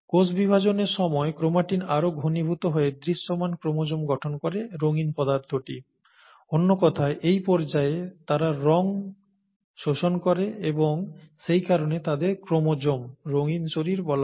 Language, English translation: Bengali, Chromatin condenses even further to form visible chromosomes, the coloured substances, during cell division, in other words they take up dyes during this stage and that’s why they are called chromosomes, coloured bodies